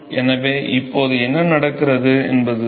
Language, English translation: Tamil, So, what happens is